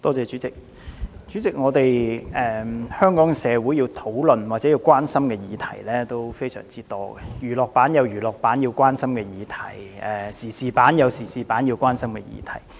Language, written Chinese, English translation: Cantonese, 代理主席，香港社會要討論或關心的議題相當多，娛樂版有市民關心的議題，時事版也有市民關心的議題。, Deputy President there are many topics which the Hong Kong community needs to discuss or be concerned about eg . those in the current affairs section or the entertainment section in the news